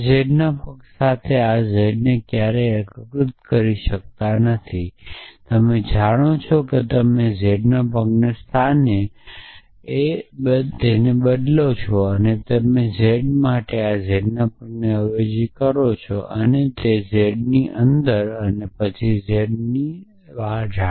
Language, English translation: Gujarati, So, you can never unify z with feet of z you know if you substitute feet of z for z then you will have to substitute feet of z for this z also then the z inside then the z inside then the z inside